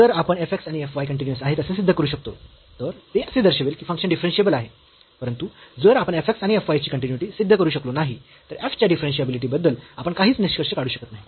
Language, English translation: Marathi, If we can prove that f x and f y are continuous, that will simply imply that the function is differentiable, but if we if we cannot prove the continuity of f x and f y, we cannot conclude anything about the differentiability of f